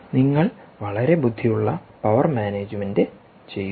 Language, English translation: Malayalam, here you do very clever power management